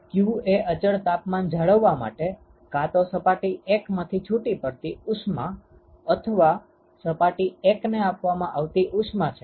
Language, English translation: Gujarati, q is the amount of heat either released from 1, or it is supplied to surface one in order to maintain a constant temperature